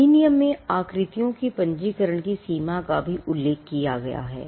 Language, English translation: Hindi, The limits on registration of shapes are also mentioned in the act